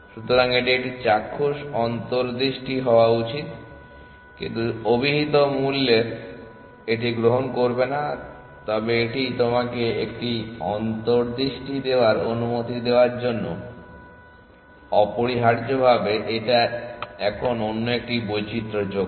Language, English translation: Bengali, So, this should give a visual intuition, but this is do not take it at face value, but it just to allow you to give an intuition essentially now another variation